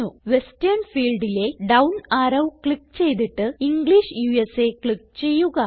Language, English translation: Malayalam, So click on the down arrow in the Western field and click on the English USA option